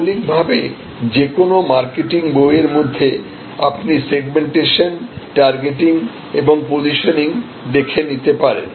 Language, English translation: Bengali, Fundamentally in any marketing book you can also look at segmentation, targeting and positioning